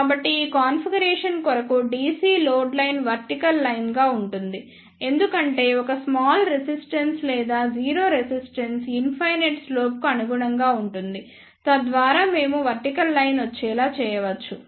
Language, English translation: Telugu, So, the DC load line for this configuration will be a vertical line, because a small resistance or the 0 resistance will corresponds to infinite load, so that we make the vertical line